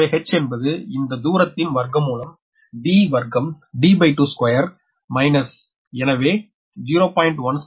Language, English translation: Tamil, so h is equal to root over this distance, square d square minus d by two square